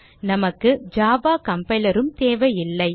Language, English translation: Tamil, We do not need java compiler as well